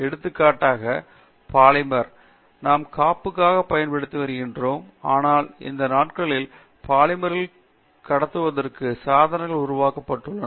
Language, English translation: Tamil, For example, polymer which we use for insulation, but these days devices are being made from conducting polymers